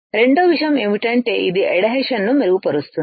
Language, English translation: Telugu, Second thing is that it will improve the adhesion